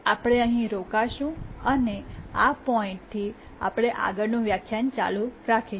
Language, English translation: Gujarati, We'll stop here and from this point we'll continue the next lecture